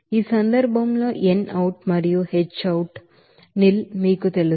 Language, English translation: Telugu, So here in this case n out and H out to be you know nil